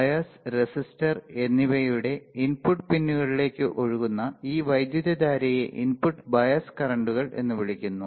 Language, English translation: Malayalam, This amount of current that flows into input pins of the bias and resistor are called input bias currents that are called input bias currents